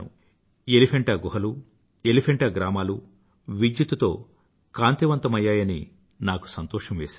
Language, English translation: Telugu, I am glad that now the villages of Elephanta and the caves of Elephanta will be lighted due to electrification